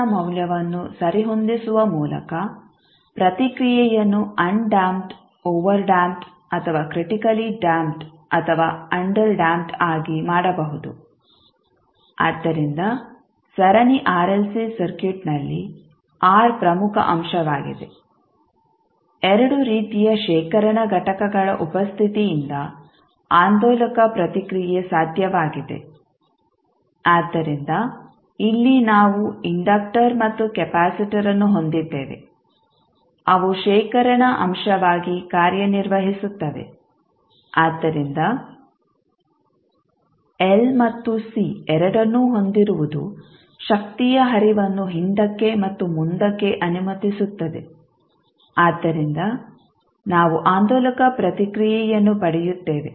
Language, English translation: Kannada, No by adjusting the value of R the response may be made undamped, overdamped or critically damped or may be under damped, so the R is the important component in the series RLC circuit, oscillatory response is possible due to the presence of two types of the storage elements, so here we have inductor as well as capacitor which act as a storage element, so having both L and C allow the flow of energy back in forth because of that we get the oscillatory response